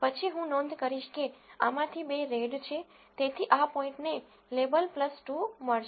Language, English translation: Gujarati, Then I will notice that two out of these are red, so this point will get a label plus 2